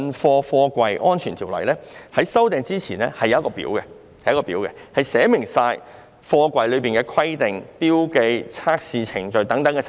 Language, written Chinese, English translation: Cantonese, 修訂前的《條例》載有附表，當中列明有關貨櫃的規定、標記及測試程序等細節。, Before this amendment exercise the Ordinance contains a Schedule setting out the details on the requirements markings and testing procedures for containers